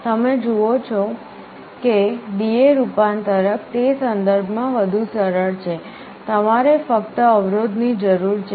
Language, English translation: Gujarati, You see D/A converter is easier in that respect, you need only resistances